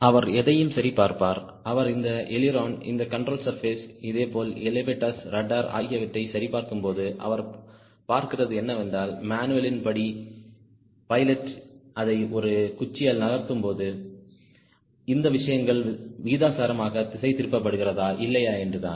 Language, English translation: Tamil, he will be also checking if we see here, checking this ailerons, this control surfaces, similarly elevators, rudder, you will see whether, when the pilot moves it with a stick, whether these things are being deflected proportionately or not as per the manual